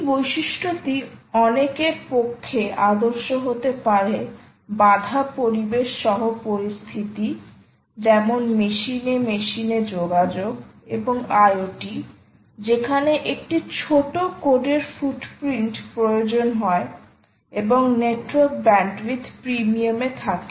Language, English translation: Bengali, these characteristic may be ideal for in many situations, including constrain environment, such as communication in machine to machine and internet of things, context where a small code footprint is required and or network bandwidth is at a premium